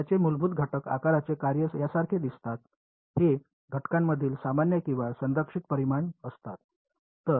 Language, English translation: Marathi, So, their basis elements shape functions look like this actually, these are the common or conserved quantities between elements